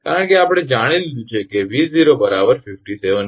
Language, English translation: Gujarati, Because, we have got know V 0 is equal to your 57 kV